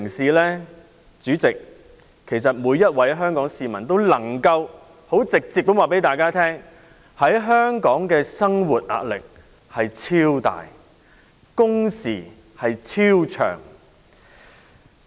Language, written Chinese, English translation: Cantonese, 代理主席，每位香港市民都能夠很直接的告訴大家，在香港生活的壓力超多、工時超長。, Deputy President every Hong Kong citizen can tell you right away about the tremendous living pressure and extremely long working hours in Hong Kong